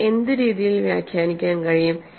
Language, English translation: Malayalam, What way we can interpret